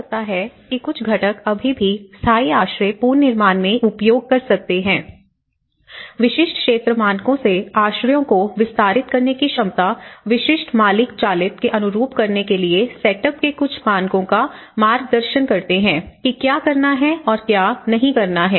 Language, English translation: Hindi, Maybe some components we can still use in the permanent shelter reconstruction, ability to extend shelters from basic sphere standards to suit specific owner driven on the sphere standards of setup some guidance what to do and what not to do